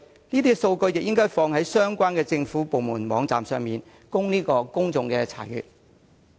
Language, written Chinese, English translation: Cantonese, 這些數據也應該上載至相關政府部門的網站，供公眾查閱。, The data should also be uploaded onto the websites of the relevant government departments for public inspection